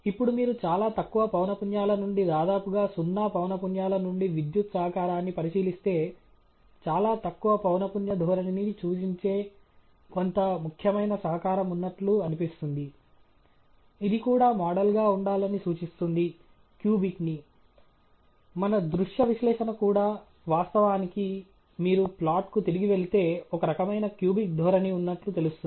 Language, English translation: Telugu, Now, if you look at the power contributions from very low frequencies almost near zero frequencies there seems to be some significant contribution that is perhaps indicative of a very low frequency trend, which probably is indicating that we should have also modelled the cubic one; even our visual analysis, in fact, reveal that if you go back to the plot, there seems to be some kind of a cubic trend